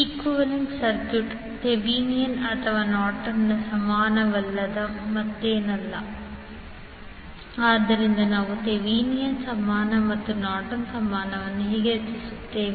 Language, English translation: Kannada, Equivalent circuit is nothing but Thevenin’s or Norton’s equivalent, so how we will create Thevenin equivalent and Norton equivalent